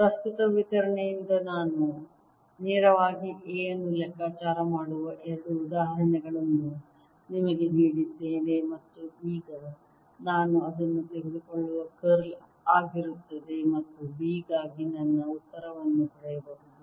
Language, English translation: Kannada, so you see, i've given you two examples where we can calculate a directly from a current distribution, and now i can take its curl and get my answer for b